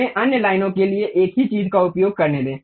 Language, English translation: Hindi, Let us use the same thing for other line